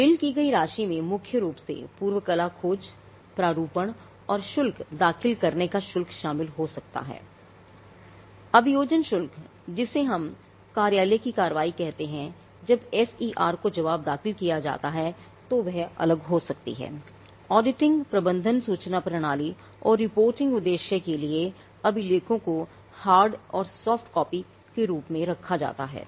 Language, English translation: Hindi, The billed amount could broadly include the fee for prior art search, drafting and filing fees, prosecution fees which is what we call office action when the FER is raised filing a reply to the FER that could be that would be different